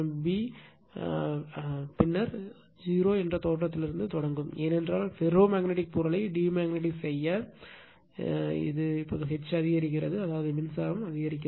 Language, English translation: Tamil, Then we will starting from the origin that 0, because we have totally you are what you call demagnetize the ferromagnetic material, now we are increasing the H that means, we are increasing the current I say right